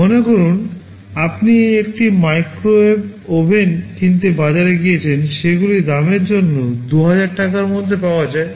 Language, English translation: Bengali, Suppose you have gone to the market to buy a microwave oven, they are available for prices ranging for Rs